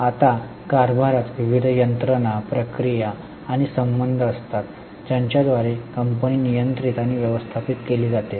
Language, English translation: Marathi, Now, governance consists of various mechanisms, processes and relationships by which the company is controlled and managed